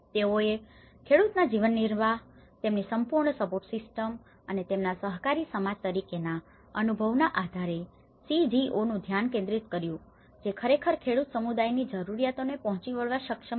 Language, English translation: Gujarati, They focused on how we can enhance their livelihoods, their the whole support systems and based on their experience as an co operative society the CGOs they have actually could able to address the peasant communities needs